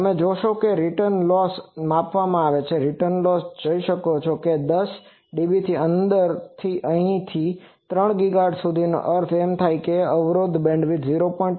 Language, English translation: Gujarati, And so you see that with return loss is measured return loss you can see that within 10 dB starting from here to here up to 3 GHz that means impedance bandwidth is 0